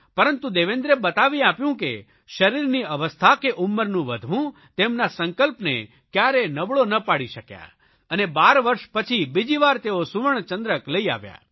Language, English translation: Gujarati, Yet, Devendra displayed that physical condition and increasing age could not dent his strong determination and he successfully claimed his second gold medal after a gap of 12 years